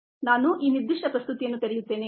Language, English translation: Kannada, let me open ah this particular presentation